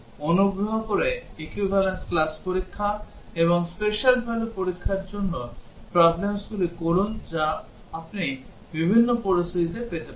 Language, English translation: Bengali, Please do problems for designing equivalence class tests and special value tests for problems that you can get for different situations